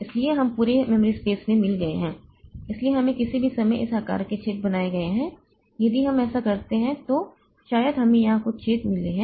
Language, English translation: Hindi, So, we have got in the entire memory space, so we have got this type of holes created at any point of time if we look into